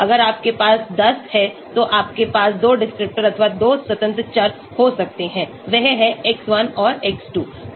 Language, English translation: Hindi, If you have 10 then you can have 2 descriptors or 2 independent variables, that is x1 and x2